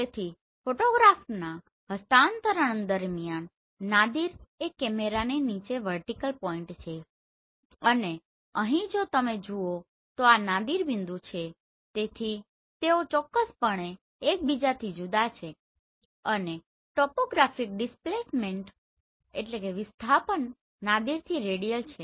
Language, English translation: Gujarati, So Nadir is the point vertically beneath the camera during the acquisition of photographs right and here if you see this is the Nadir point so they are definitely different from each other right and topographic displacement is radial from the Nadir